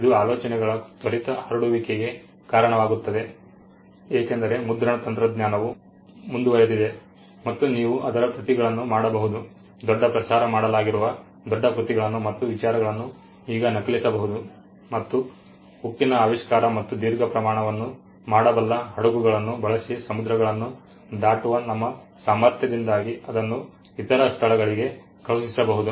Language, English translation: Kannada, Now this lead to the quick spread of ideas because printing technology advanced and you could make copies of; what was disseminated big ideas great works could now be copied and it could be sent to other places and because of the invention of steel and our ability to cross the seas using ships which could withstand long voyages